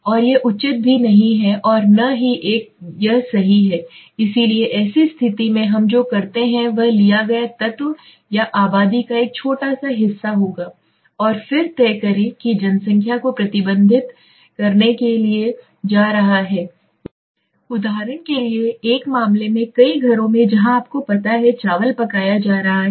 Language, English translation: Hindi, And it is not advisable also neither it is wise right, so in such a situation what we do is we just taken element or a small part of the population and then decide what is going to you know how it is going to reflects the population take a case for example in many of the households where you know rice is being cooked right